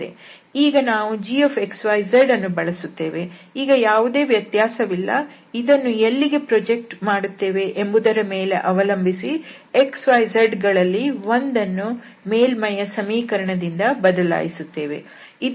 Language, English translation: Kannada, So, there is no difference instead of this one now this g x, y, z will be used and according to where we are projecting this one of these x y z will be replaced from the from the equation of the surface